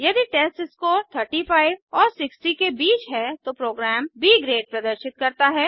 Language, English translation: Hindi, If the testScore is between 35 and 60 then the program displays B Grade